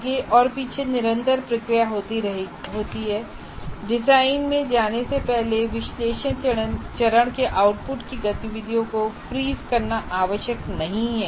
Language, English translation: Hindi, So there is continuous feedback back and forth and it is not necessary to freeze the activities of outputs of analyzed phase before you move to the design